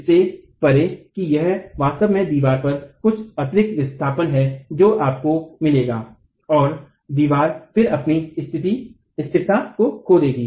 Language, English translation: Hindi, Beyond that it is actually some additional displacement of the wall that you will get and the wall would then lose its stability itself